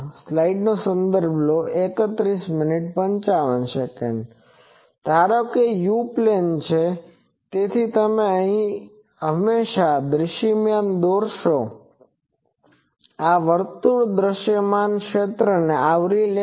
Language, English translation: Gujarati, Suppose, this is u plane, so you draw the visible always this circle will be covering the visible region